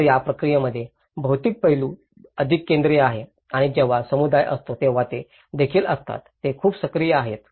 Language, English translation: Marathi, So, in this process, the material aspect is more focused and also the community engagement is also when they are; it’s very much active